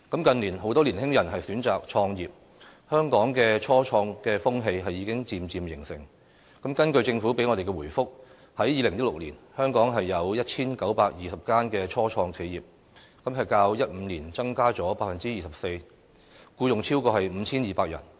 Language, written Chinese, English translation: Cantonese, 近年很多年輕人選擇創業，香港的初創風氣已經漸漸形成，根據政府給我們的回覆，在2016年，香港有 1,920 間初創企業，較2015年增加了 24%， 僱用超過 5,200 人。, In recent years many young people have opted to start up their own businesses . The trend of starting up business begins to take shape . According to the Governments reply there were 1 920 start - ups in 2016 an increase of 24 % from 2015